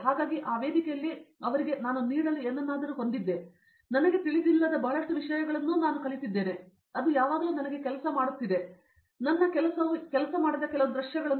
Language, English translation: Kannada, So in that platform I had something to offer to them and also I learnt a lot of things which I didn’t know, I taught that it is always all working for me, but they set up some scenario in which my thing was not working